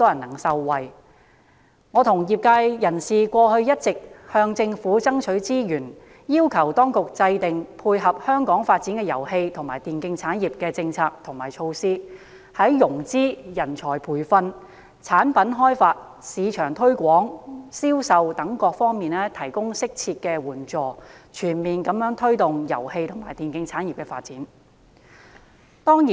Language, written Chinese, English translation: Cantonese, 其實，我和業界人士一直向政府爭取資源，要求當局制訂配合香港遊戲及電競產業發展的政策和措施，從融資、人才培訓、產品開發、市場推廣、銷售等各方面提供適切援助，全面推動遊戲及電競產業的發展。, In fact the industry and I have been fighting for resources from the Government and requesting the Administration to formulate policies and measures to cope with the development of the game and e - sports industry in Hong Kong and to provide appropriate assistance in such aspects as financing talent training product development marketing and sales so as to promote e - sports development in a comprehensive manner . It is a good thing that the Government is willing to commit more resources to innovation and technology IT